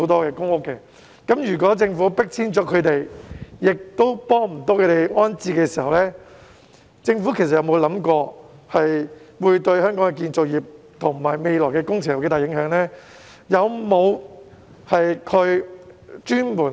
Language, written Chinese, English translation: Cantonese, 如果政府將他們迫遷，但卻沒有協助安置他們，政府曾否想過會對香港的建造業及未來的工程有多大影響呢？, If the Government evicts them without offering them any assistance in the reprovisioning process has the Government ever considered the impact on Hong Kongs construction industry and works projects in the days to come?